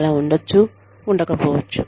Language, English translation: Telugu, May or, may not be, so